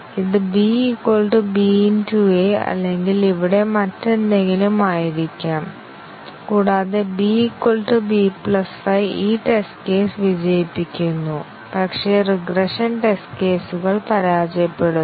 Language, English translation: Malayalam, It could, should have been something else, like b is equal to b into a or something here; and b equal to b plus 5 makes this test case pass, but the regression test cases fail